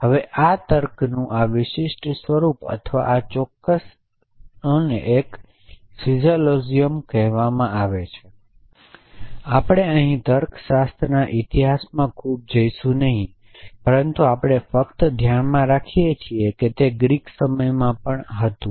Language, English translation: Gujarati, And this particular form of reasoning or this particular loll is called a syllogism we will not go too much into history of logic here, because there is plenty to look at they, but we just keep in mind that this was there in Greek times as well essentially